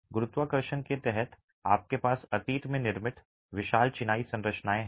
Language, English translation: Hindi, Under gravity you have massive masonry structures constructed in the past